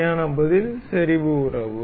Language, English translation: Tamil, The correct answer is the concentric relation